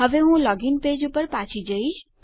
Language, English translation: Gujarati, Now Ill go back to the login page